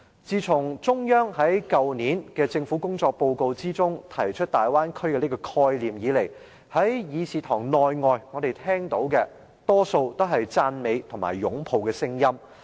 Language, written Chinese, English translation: Cantonese, 自從中央在去年的政府工作報告中，提出大灣區這個概念以來，在議事堂內外，我們聽到的多數都是讚美和擁抱的聲音。, Since the Central Authorities put forward the Bay Area concept in the Report on the Work of the Government last year we have mostly heard about remarks praising and embracing the concept whether inside or outside this Chamber